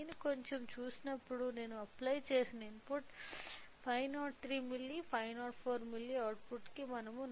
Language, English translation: Telugu, So, when I see slightly I have to increase right input applied is of 503 milli, 504 milli output we are getting a 4